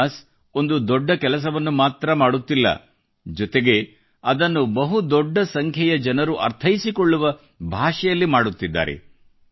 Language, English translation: Kannada, Jonas is not only doing great work he is doing it through a language understood by a large number of people